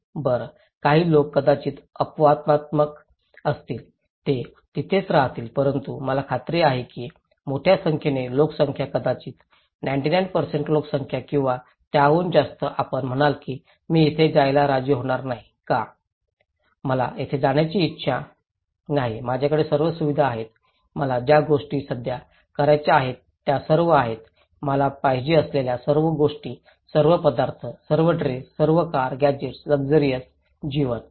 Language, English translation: Marathi, And you will stay there; will you stay there; well, some people may be very exceptional, they will stay there but I am quite sure that large number of populations maybe 99% population or maybe more than that, you would say that I would not agree to go there, why; I do not want to go there, I have all the facilities, all the things I want to achieve there is there, all the things I want, all the foods, all the dress, all the cars, gadgets, all I have; luxury life